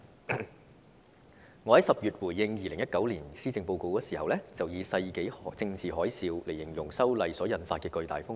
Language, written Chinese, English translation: Cantonese, 我在10月回應2019年施政報告的時候，曾以"世紀政治海嘯"來形容修例所引發的巨大風波。, When I responded to the 2019 Policy Address in October I described the huge turmoil that arose from the proposed legislative amendments as the political tsunami of the century